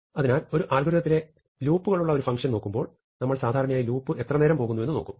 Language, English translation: Malayalam, So, when we look at a function, an algorithm which has a loop, we typically look at the loop how long does the loop take